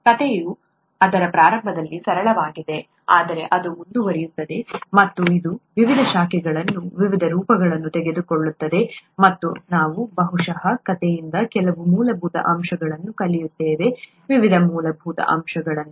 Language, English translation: Kannada, The story is rather simple in its inception but it goes on and it takes various branches, various forms, and we will probably learn some fundamental aspects from the story, various fundamental aspects